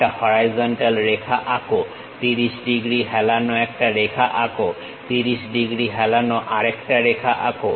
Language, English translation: Bengali, Draw a horizontal line draw an incline line 30 degrees, another incline line 30 degrees